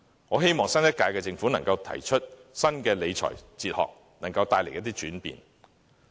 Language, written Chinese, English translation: Cantonese, 我希望新一屆政府可以提出新的理財哲學，並帶來一些轉變。, I hope that the next Government can adopt a new financial philosophy and bring about changes in this regard